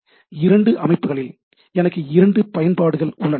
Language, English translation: Tamil, So, I have two applications at two systems